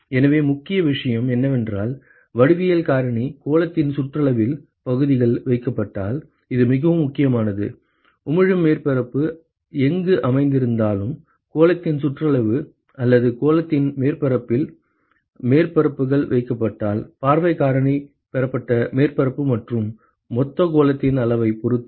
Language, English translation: Tamil, So, all that matters is that the geometric factor, if the areas are placed inside the periphery of the sphere, this is very important; if the surfaces are placed in the periphery of the of the sphere or the surface of the sphere irrespective of where the emitting surface is located, it only, the view factor only depends upon the receiving surface area and the total sphere ok